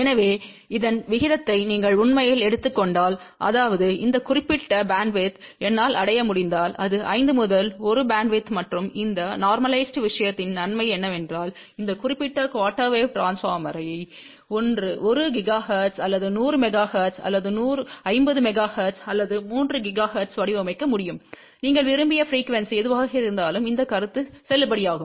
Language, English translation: Tamil, So, if you really take the ratio of this to this so; that means, if I can achieve this particular bandwidth this can be 5 is to 1 bandwidth and the advantage of this normalized thing is you can design this particular quarter wave transformer at 1 gigahertz or 100 megahertz or 500 megahertz or 3 gigahertz; whatever is your desired frequency, this concept will be valid